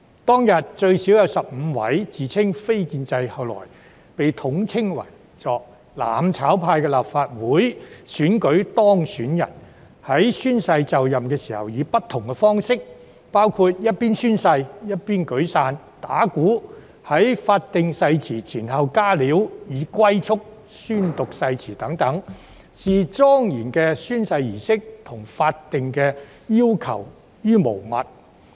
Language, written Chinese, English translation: Cantonese, 當天最少有15名自稱"非建制"——後來被統稱為"攬炒派"的立法會選舉當選人——在宣誓就任時以不同方式宣讀誓言，包括一邊宣誓一邊舉傘、打鼓；在法定誓言前後"加料"，以及用"龜速"宣讀誓言，視莊嚴的宣誓儀式和法定要求如無物。, On that day at least 15 elected Legislative Council Members who proclaimed themselves as non - establishment Members and were later collectively referred to as Members of the mutual destruction camp read out the oath in different ways when they took the oath including raising umbrellas and beating drums during oath - taking making additions to the oath prescribed by law and reading out the oath at tortoise speed . All of them had disregarded the solemn oath - taking ceremony and legal requirements